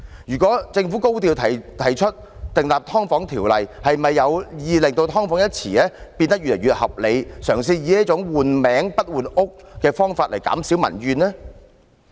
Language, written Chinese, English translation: Cantonese, 如果政府高調提出訂立有關"劏房"的條例，是否有意令"劏房"一詞變得越來越合理，嘗試以這種"換名不換屋"的方法來減少民怨呢？, If the Government proposes enacting legislation relating to subdivided units in a high profile does it intend to make this term sound more reasonable attempting to allay public grievances with such an approach of changing the name but not the housing?